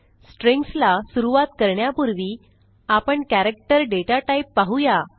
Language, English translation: Marathi, Before starting with Strings, we will first see the character data type